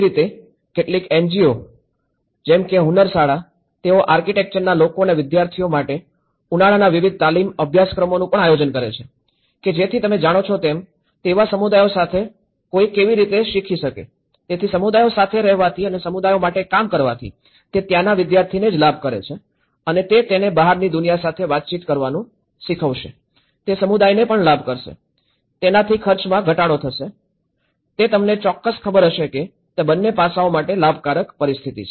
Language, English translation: Gujarati, Similarly, some NGOs like Hunnarshala, where they are also organizing various summer training courses for the people and students of architecture, that how one can learn with the communities you know, so being with the communities and working for the communities, it also benefit not only the student who is there and learning interacting with the outside world, it will also benefit the community, it will reduce the cost, it will you know certain; there is a win win situation in both the aspects